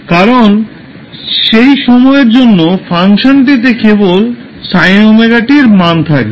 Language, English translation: Bengali, Because for that period only the function will be having the value of sin omega t